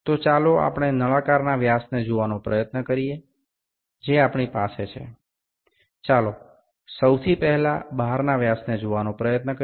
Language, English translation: Gujarati, So, let us try to see the dia of the cylinder that we have, let us first try to see the external dia